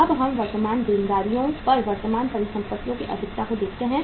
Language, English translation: Hindi, Now let us see the say excess of current assets over current liabilities